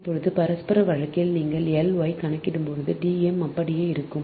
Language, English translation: Tamil, now for mutual case, that d m will remain same when you will calculate l y